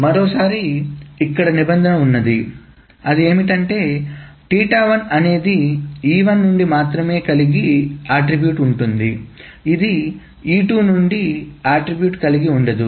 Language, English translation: Telugu, Once more, here the condition is that theta 1 involves attributes from only E1 and it doesn't involve attribute from E2